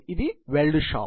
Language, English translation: Telugu, It is a weld shop